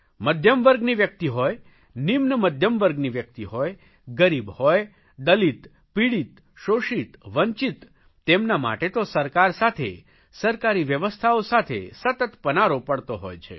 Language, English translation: Gujarati, Be it someone from middle class, lower middle class, dalit, exploited, victim or deprived, they have to continuously be in touch with the government or its various organizations